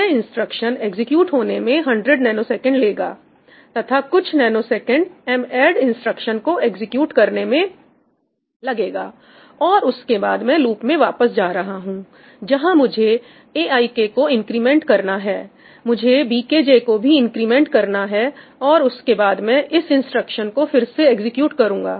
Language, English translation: Hindi, this instruction is going to take 100 nanoseconds, this instruction is going to take 100 nanoseconds, and then a few nanoseconds for ‘madd’, and then I am going to go back here, I am going to loop back and I will have to increment aik, I will have to increment bkj, and then I am going to execute this again, right